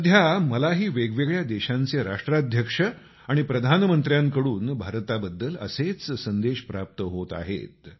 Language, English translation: Marathi, These days, I too receive similar messages for India from Presidents and Prime Ministers of different countries of the world